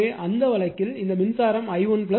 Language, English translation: Tamil, You will get i 1 is equal to 1